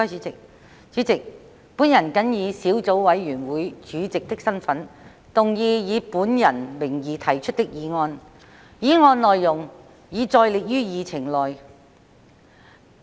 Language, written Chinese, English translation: Cantonese, 主席，本人謹以小組委員會主席的身份，動議以本人名義提出的議案，議案內容已載列於議程內。, President in my capacity as Chairman of the Subcommittee I move the motion under my name as printed on the Agenda